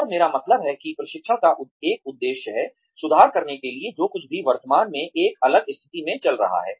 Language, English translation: Hindi, And, I mean, that is one purpose of training ; to improve, whatever is going on currently to a different state